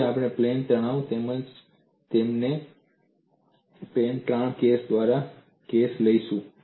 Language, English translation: Gujarati, Now, we will take a plane stress as well as plane strain case by case